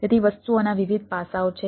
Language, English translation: Gujarati, so there are different aspects of the things